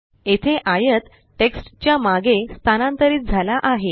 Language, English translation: Marathi, Here the rectangle has moved behind the text